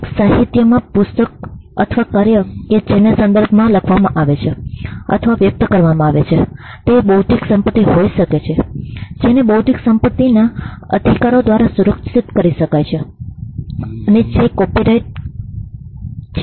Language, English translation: Gujarati, A literary work a book or the work that is written or expressed in words could be an intellectual property which can be protected by an intellectual property rights that is copyright